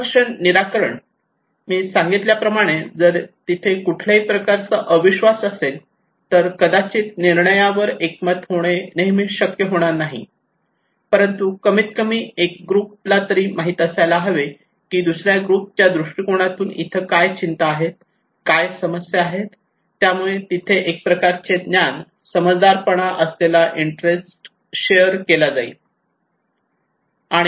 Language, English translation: Marathi, Conflict resolutions, as I said that if there is a kind of distrust may not be we always be able to reach to an agreed decisions but at least one group should know that what are the concerns what are the problems there from another perspective, from another groups perspective, so there is kind of shared knowledge, shared understanding, and shared interest that should be there